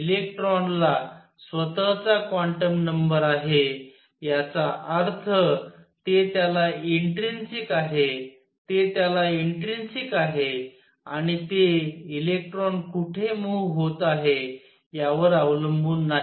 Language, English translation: Marathi, Electron has a quantum number of it is own; that means, it is intrinsic to it is intrinsic to it and it does not depend on where the electron is moving